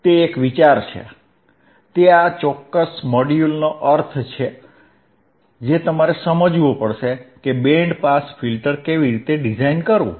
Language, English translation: Gujarati, tThat is the idea, that is the gist of this particular module that you have to understand, that the how to design a band pass filter